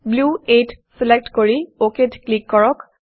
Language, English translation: Assamese, Select Blue 8 and click OK